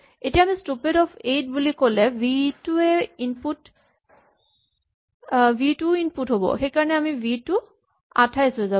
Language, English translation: Assamese, Now obviously, if we say stupid of 8 then v will also be the input, so v will become 28